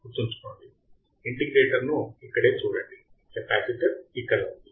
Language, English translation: Telugu, Remember, see the integrator right here, the capacitor is here